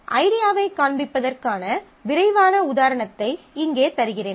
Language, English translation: Tamil, So, here I give you a quick example to show the idea